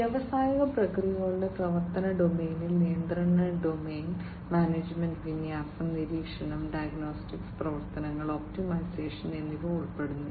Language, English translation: Malayalam, The operational domain of the industrial processes include the control domain, the management, deployment, monitoring and diagnostics, operations, and optimization